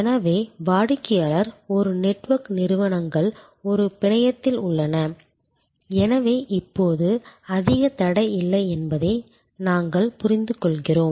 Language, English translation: Tamil, So, customer is a network, the organizations are in a network, so we understand that now there is not much of a barrier